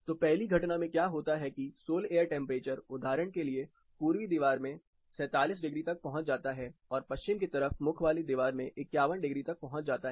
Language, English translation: Hindi, So, what happens in the first incidence is the sol air temperature for example, in the eastern wall goes as high as 47 degrees, for a west facing wall it goes up to 51 degrees